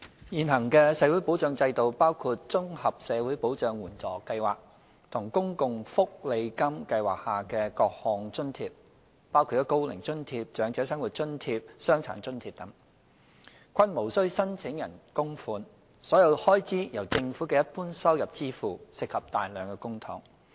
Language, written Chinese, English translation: Cantonese, 現行的社會保障制度，包括綜合社會保障援助計劃和公共福利金計劃下的各項津貼，包括"高齡津貼"、"長者生活津貼"、"傷殘津貼"等，均無須申請人供款，所有開支由政府的一般收入支付，涉及大量公帑。, The current social security system comprising the Comprehensive Social Security Assistance CSSA Scheme and the allowances under the Social Security Allowance SSA Scheme including the Old Age Allowance OAA Old Age Living Allowance OALA Disability Allowance DA etc does not require applicants contribution and is funded by the Governments general revenue which involves substantial public funds